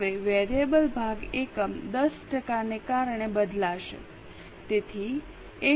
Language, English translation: Gujarati, Now variable portion will change because of units 10 percent, so 1